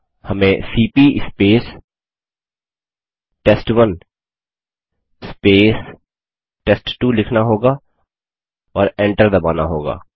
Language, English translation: Hindi, We will write cmp sample1 sample2 and press enter